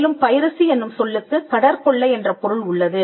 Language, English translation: Tamil, Now piracy comes from the word pirate which stood for a sea robber